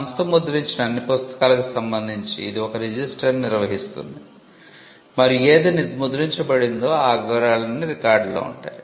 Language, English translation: Telugu, The company will maintain a register as to all the books that it has printed, and it would be on record as to what was printed